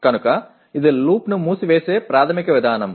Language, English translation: Telugu, So that is the basic mechanism of closing the loop